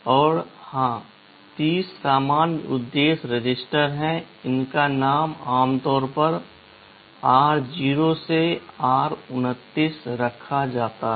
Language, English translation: Hindi, And of course, there are 30 general purpose registers; these are named typically r0 to r29